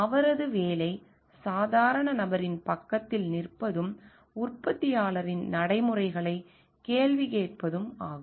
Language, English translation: Tamil, His job is to stand beside the lay person, and to question the practices of the manufacturer